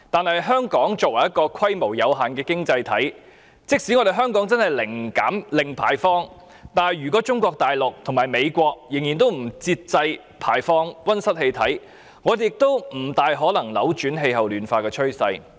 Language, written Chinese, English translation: Cantonese, 然而，香港作為一個規模有限的經濟體，即使真的零排放，如果中國大陸及美國仍然不節制地排放溫室氣體，也不太可能扭轉氣候暖化的趨勢。, However if Mainland China and the United States continue to emit greenhouse gases in an unrestrained manner Hong Kong being an economy of limited scale cannot possibly reverse the trend of climate warming even if zero emission can be attained